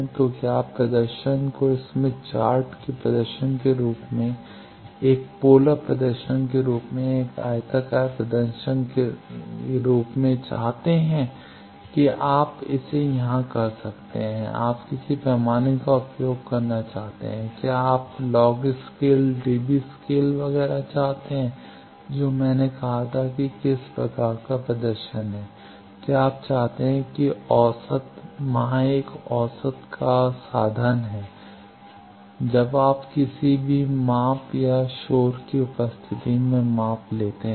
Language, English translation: Hindi, So, whether you want the plot as smith chart plot, as a polar plot, as a rectangular lot that you can do it here which scale you want to use what is scale whether you want log scale dB scale etcetera which type of display as I said then averaging whether you want averaging there is an averaging means suppose when you do any measurement and in presence of noise